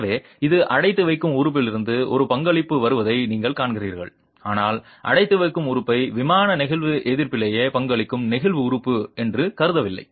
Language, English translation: Tamil, So, this is you see that there is a contribution coming from the confining element but not treating the confining element as a flexual element contributing to in plain flexual resistance itself